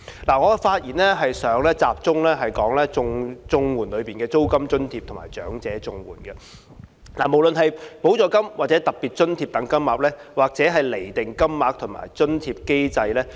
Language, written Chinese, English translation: Cantonese, 我的發言會集中於綜援計劃下的租金津貼和長者綜援兩方面，無論是補助金或特別津貼的金額，或釐定金額和津貼的機制。, My speech will focus on two aspects under the CSSA Scheme namely the rent allowance and elderly CSSA including the rates of supplements and special grants and the mechanisms for determining the rates and grants